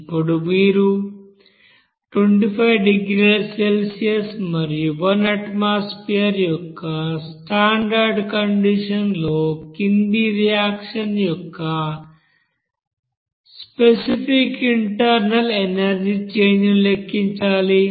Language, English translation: Telugu, Now in this case you have to calculate the specific internal energy change of reaction of the following given at a standard conditions at 25 degrees Celsius and at one atmosphere